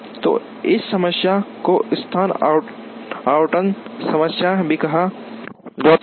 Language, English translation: Hindi, So, this problem is also called location allocation problem